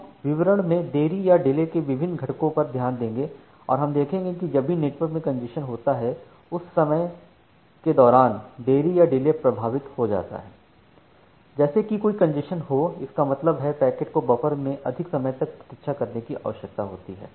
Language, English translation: Hindi, We will look into the different components of delay in details and we will see that whenever the congestion is there in the network, during that time, that delay gets impacted like if there is a congestion, that means, the packet need to wait for more amount of time in the packet buffer